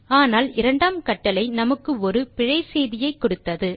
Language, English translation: Tamil, But second command is a command that gave us an error